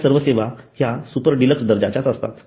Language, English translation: Marathi, For example, there is the super deluxe class